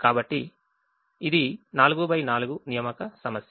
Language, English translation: Telugu, so it is a four by four assignment problem